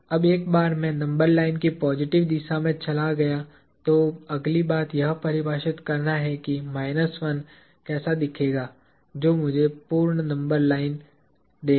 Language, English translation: Hindi, Now, once I have moved in the positive direction of the number line, the next thing to do is to define what my minus 1 would look like, which is what would give me the complete number line